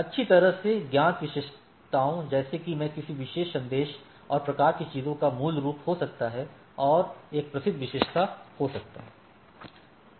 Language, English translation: Hindi, Well known attributes like I can have a origin of the particular message and type of things and be a well known attribute